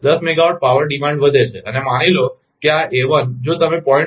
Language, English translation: Gujarati, Ten megawatt power demand increase and suppose this a1, if you put 0